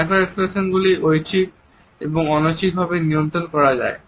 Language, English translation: Bengali, Micro expressions can also be controlled voluntary and involuntary